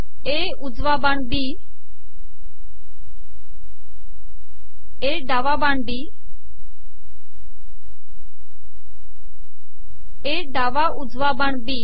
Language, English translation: Marathi, A right arrow B, A left arrow B, A right arrow B